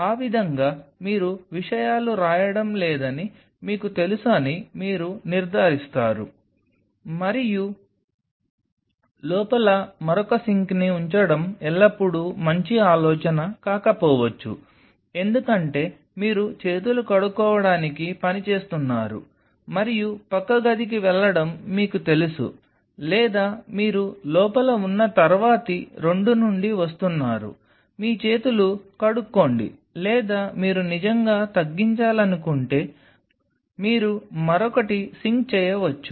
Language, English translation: Telugu, That way you will be ensuring that you know you are not spelling out things and it is always a good idea to have another sink inside may not be a bad idea because you are working on a wash your hands and you know go to the next room, or you are coming from the next one two inside wash your hands or if you want to really minimize you can have one sink the again